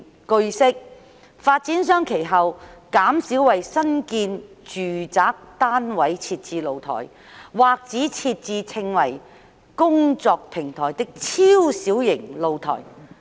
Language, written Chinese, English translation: Cantonese, 據悉，發展商其後減少為新建住宅單位設置露台，或只設置稱為"工作平台"的超小型露台。, It is learnt that developers have since then reduced the provision of balconies or only provided very small balconies known as utility platforms for new residential units